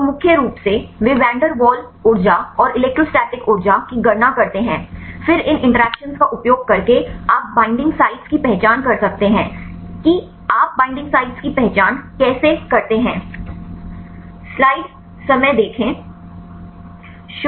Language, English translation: Hindi, So, mainly they calculate the van der waals energy and electrostatic energy, then using these interactions you can identify the binding sites how do you identify the binding sites